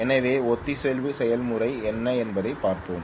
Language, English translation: Tamil, So let us take a look at what is the process of synchronization